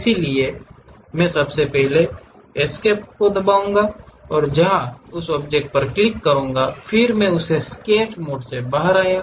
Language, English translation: Hindi, First of all for that either press escape or go there click that object, then I came out of that Sketch mode